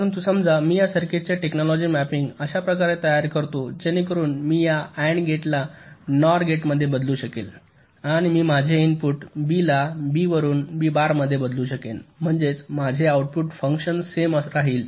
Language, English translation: Marathi, but suppose i make a technology mapping of this circuits like this, so that i modify this and gate into a nor gate, and i change my input b from b to b bar, such that my, my output function remains the same